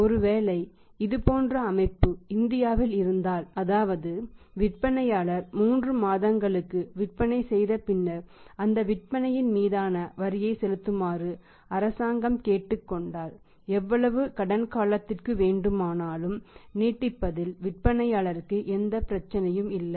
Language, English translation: Tamil, If if if it is the system like in India if the seller is allowed by the government that after the collection of the sales of 3 months he should be asked to pay the tax on those sales collected then there is no problem any any period can be extended by the seller to the buyer